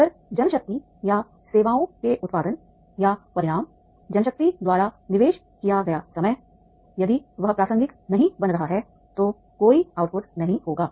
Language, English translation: Hindi, If the output or outcome of the services of the main power or the time invested by the main power, if that is not becoming the relevant, then there will be no output